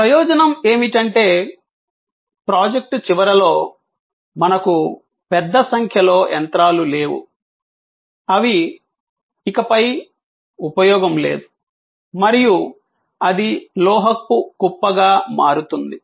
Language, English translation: Telugu, The advantage is that, we do not have at the end of the project; a large number of machines which are of no longer of any use and that became a resting heap of metal